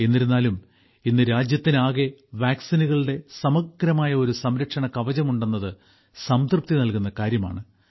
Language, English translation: Malayalam, However, it is a matter of satisfaction that today the country has a comprehensive protective shield of a vaccine